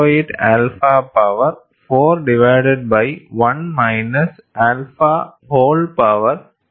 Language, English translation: Malayalam, 08 alpha power 4 divided by 1 minus alpha whole power 3 by 2